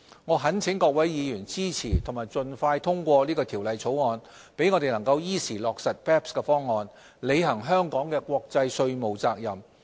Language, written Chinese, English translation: Cantonese, 我懇請各位議員支持及盡快通過《條例草案》，讓我們能依時落實 BEPS 方案，履行香港的國際稅務責任。, I implore Members to support and expeditiously pass the Bill so that we can implement the BEPS package in a timely manner and fulfil our international taxation obligations